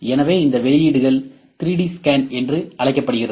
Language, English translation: Tamil, So, these outputs are known as 3D scans